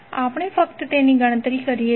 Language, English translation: Gujarati, We just calculate it